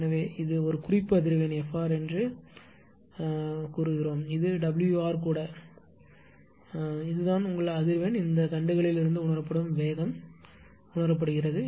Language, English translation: Tamil, So, this is a reference frequency say F r, it is it may be omega r also no problem right and this is that is your ah frequency sensed from these from these ah shafts speed is sensed